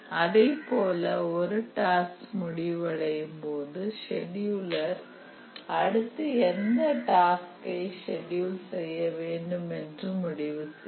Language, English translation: Tamil, And also whenever a task completes, the scheduler becomes active and then decides which task to schedule